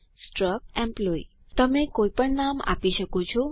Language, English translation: Gujarati, struct employee You can give any name